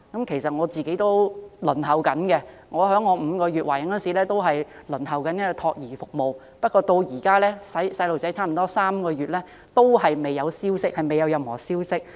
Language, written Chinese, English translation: Cantonese, 其實，我個人也正在輪候服務，我在懷孕5個月時已開始輪候託兒服務，但我的孩子現已出世約3個月，至今仍未有任何消息。, As a matter of fact I am also waiting for childcare service and I began to apply when I was pregnant for five months . My child is about three months old now but I have yet to hear any news from the relevant organizations